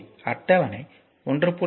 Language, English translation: Tamil, So, table 1